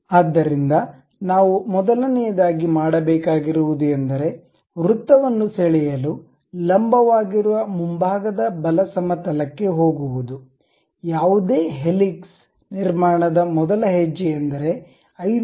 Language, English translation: Kannada, So, the first thing what we have to do is go to frontal right plane normal to that draw a circle, the first step for any helix construction is making a circle 5 mm, click ok